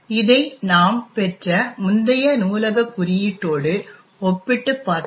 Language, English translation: Tamil, and if we actually compare this with the previous library code that we obtained in